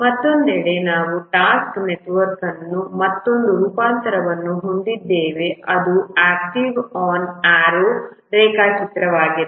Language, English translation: Kannada, On the other hand, we have another variant of task network which is activity on arrow diagram